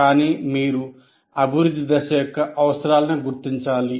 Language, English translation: Telugu, But you must recognize the requirements of development phase